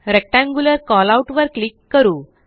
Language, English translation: Marathi, Lets click on Rectangular Callout